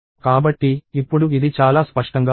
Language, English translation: Telugu, So, now this is very clear